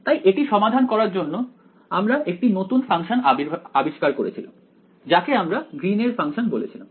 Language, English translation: Bengali, So, to solve this we said we invented one new function we called it the Green’s function right